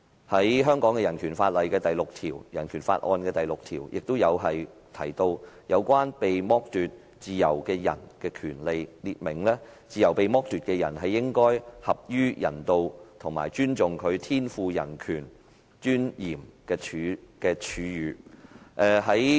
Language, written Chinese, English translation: Cantonese, 香港的人權法案第六條亦提到有關被剝奪自由的人的權利，列明"自由被剝奪之人，應受合於人道及尊重其天賦人格尊嚴之處遇"。, Article 6 of the Hong Kong Bill of Rights also stipulated under the Rights of persons deprived of their liberty that All persons deprived of their liberty shall be treated with humanity and with respect for the inherent dignity of the human person